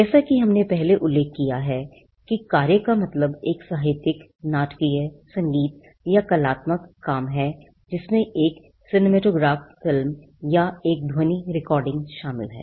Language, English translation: Hindi, Work as we already mentioned is defined to mean a literary, dramatic, musical or artistic work it includes a cinematograph film or a sound recording